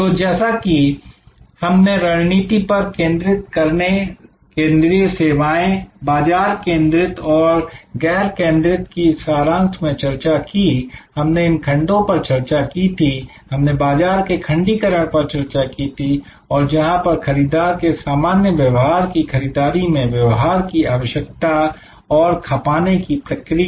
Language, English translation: Hindi, So, as we discussed to summarise focused strategy fully focused service, market focused and unfocused we discuss these segments we discussed about market segmentation and where buyers of common characteristics needs purchasing behaviour and consumption pattern